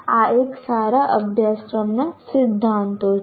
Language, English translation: Gujarati, These are the principles of any good course